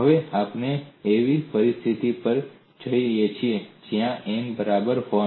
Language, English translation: Gujarati, Now we go the situation where n equal to 1